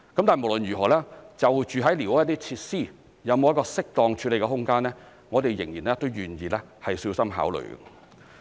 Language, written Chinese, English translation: Cantonese, 但無論如何，就寮屋的設施，有沒有一個適當處理的空間，我們仍願意小心考慮。, However in any case we are still willing to consider carefully whether there is room for the proper handling of the squatter facilities